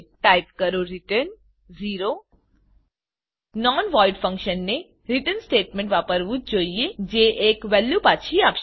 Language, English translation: Gujarati, Type return 0 A non void function must use a return statement that returns a value